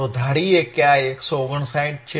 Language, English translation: Gujarati, So, let us assume that this is 159